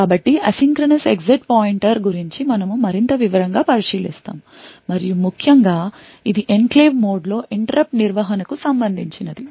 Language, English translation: Telugu, So, we look at more detail about the asynchronous exit pointer and essentially this is related to interrupt management in an enclave mode